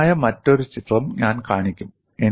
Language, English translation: Malayalam, I will show another interesting picture